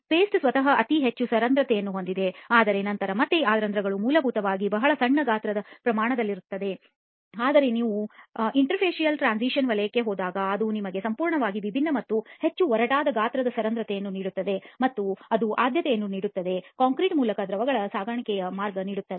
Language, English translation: Kannada, The paste itself has a very high porosity, okay but then again these pores are essentially at a very small size scale, but when you go to the interfacial transition zone it gives you a completely different and much coarser size scale of porosity which makes it the preferred path of transport of liquids through the concrete, okay